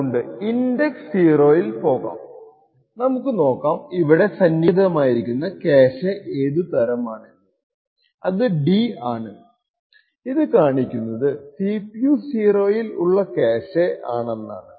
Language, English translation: Malayalam, So will go into index 0 and we will look at the type of cache which is present over here and the type is D, data which indicates that this particular cache represented at CPU 0 index 0 is a data cache